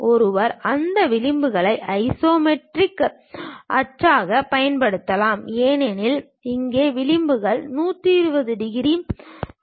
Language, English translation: Tamil, One can use those edges as the isometric axis; because here the edges are making 120 degrees